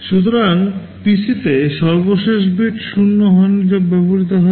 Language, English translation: Bengali, So, in the PC, the last bit is 0 which is not used